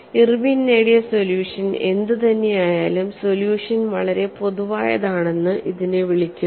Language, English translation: Malayalam, The solution that Irwin has obtained is termed as very general solution